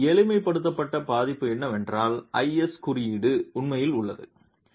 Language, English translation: Tamil, A simplified version of this is what the IS code actually has